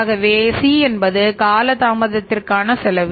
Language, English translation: Tamil, So c is the cost of delaying the payment